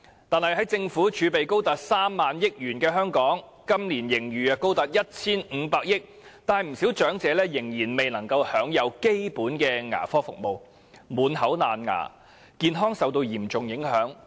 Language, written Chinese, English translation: Cantonese, 但是，在政府儲備高達 30,000 億元，本年度盈餘更高達 1,500 億元的香港，不少長者卻仍未能享有基本的牙科服務，造成滿口蛀牙，健康受到嚴重影響。, However although the Governments fiscal reserves are as high as 3,000 billion and a huge financial surplus of 150 billion is recorded this year primary dental care services have still not been made available to many elderly persons in Hong Kong thus resulting in a mouthful of decayed teeth which has seriously affected their health